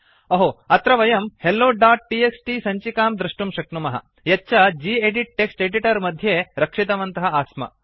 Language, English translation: Sanskrit, Hey, we can see that the same hello.txt file what we saved from gedit text editor is here